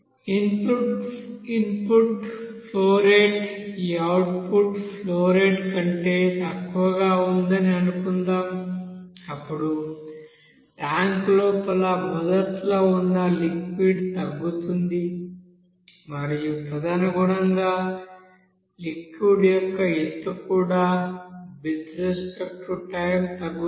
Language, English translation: Telugu, If suppose input flow rate is you know lower than this output flow rate, you will see that the liquid whatever initially was there inside the tank it will be decreasing and accordingly height of that liquid will be you know decreasing with respect to time